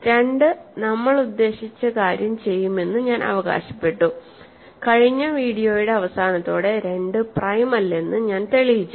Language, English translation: Malayalam, And I claimed that 2 will do the job for us and I think in the end, by the end of the last video I proved that 2 is not prime